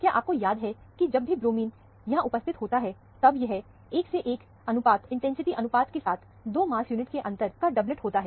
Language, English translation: Hindi, Remember, whenever bromine is there, it would be a doublet of 2 mass unit difference, with the 1 is to 1 intensity ratio